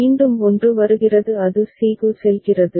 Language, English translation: Tamil, again 1 comes it goes to c